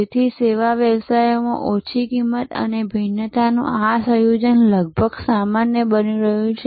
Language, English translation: Gujarati, So, this combination of low cost and differentiation is almost becoming the norm in service businesses